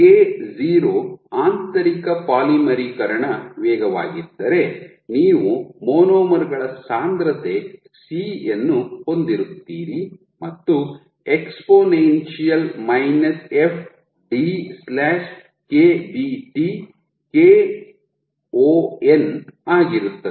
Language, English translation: Kannada, So, if K0 is the intrinsic polymerization rate you have a concentration C of the monomers and exponential f d/KBT is the kon